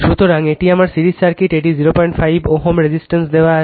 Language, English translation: Bengali, So, this is my series circuit, this is resistance is given 0